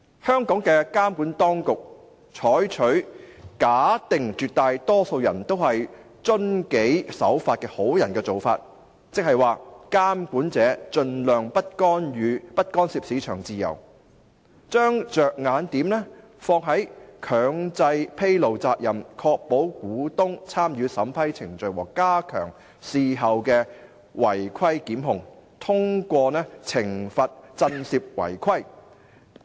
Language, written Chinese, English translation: Cantonese, 香港的監管當局採取"假定絕大多數人都是遵紀守法的好人"的做法，即"監管者盡量不干涉市場自由"，將着眼點放在"強制披露責任，確保股東[參與]審批程序和加強事後違規檢控，通過懲罰震懾違規"。, In Hong Kong the regulatory authorities adopt a practice which assumes that the majority of people have good intentions and will follow the rules of market . In other words the regulator does not intervene in the free market as far as possible and it focuses on imposing mandatory disclosure requirements ensuring shareholders participation in the vetting and approval process as well as stepping up prosecutions after contraventions thereby combating contraventions by way of penalties